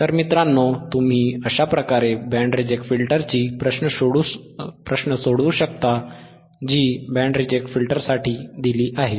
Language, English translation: Marathi, So, the guys this is how you can solve a band reject filter right problem which is given for the band reject filter